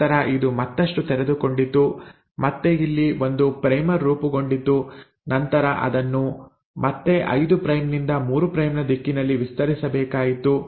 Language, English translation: Kannada, Then this uncoiled further, again there was a primer formed here and then it again had to extend it in a 5 prime to 3 prime direction